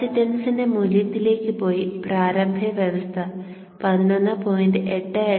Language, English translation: Malayalam, So go to the value of the capacitance and give initial condition equals 11